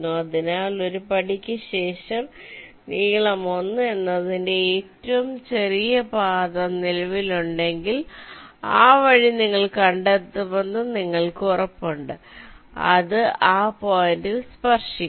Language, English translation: Malayalam, so if a shortest path of length l exist after l steps, you are guaranteed to find that path and it will touch that point